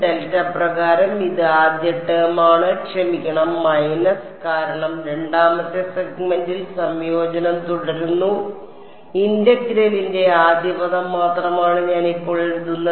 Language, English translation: Malayalam, Minus U 1 by delta plus U 2 by delta this is the first term plus sorry minus because the integration is continued over the second segment, I am only writing the first term of the integral what is the derivative now